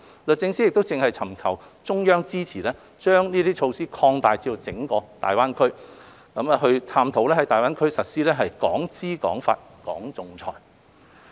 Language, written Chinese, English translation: Cantonese, 律政司正尋求中央支持把這些措施擴大至整個大灣區，並探討在大灣區實施"港資港法、港仲裁"。, DoJ is now seeking the Central Authorities support to extend these measures to the entire GBA while exploring the implementation of WOHKEs to adopt Hong Kong law and choose for arbitration to be seated in Hong Kong in GBA